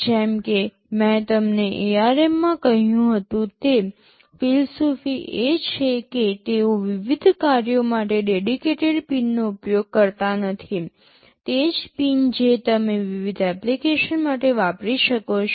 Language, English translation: Gujarati, As I told you in ARM the philosophy is that they do not use dedicated pins for different functions, same pin you can use for different applications